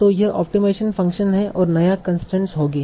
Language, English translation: Hindi, That will be your optimization function